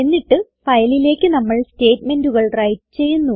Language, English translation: Malayalam, Then we will write the statements into the file